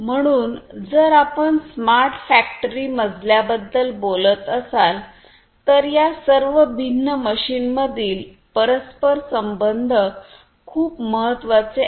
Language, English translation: Marathi, So, if you are talking about a smart factory floor the interconnection between all these different machines is very important